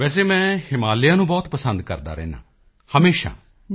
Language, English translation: Punjabi, Well I have always had a certain fondness for the Himalayas